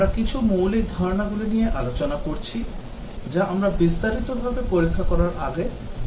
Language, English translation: Bengali, So will continue with the basic concepts that we are discussing, before we look testing in some detail